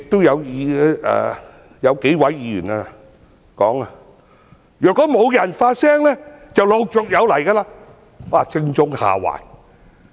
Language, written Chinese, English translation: Cantonese, 有數位議員說，如果沒有人發聲的話，這類事情便陸續有來。, Some Members say that if no one speaks up similar incidents will recur time and again